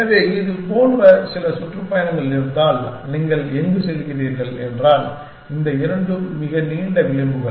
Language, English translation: Tamil, So, if you have some tour like this, where you are going like this then, these two are very long edges